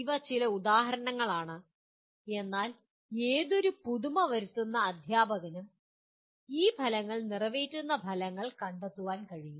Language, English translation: Malayalam, These are some examples, but any innovative teacher can find activities that would meet these outcomes